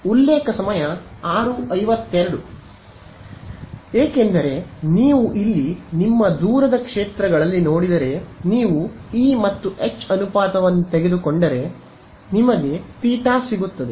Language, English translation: Kannada, Yeah, if you look over here in your far fields over here if you take the ratio of E and H you get what eta right